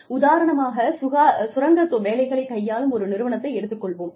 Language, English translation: Tamil, For example, in a company, that deals with mining operations, for example